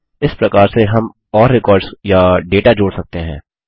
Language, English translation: Hindi, We can add more records or data in this way